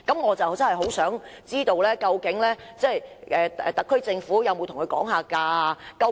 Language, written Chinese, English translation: Cantonese, 我想知道，究竟特區政府有沒有跟港鐵公司議價？, I would like to know if the SAR Government has bargained with MTRCL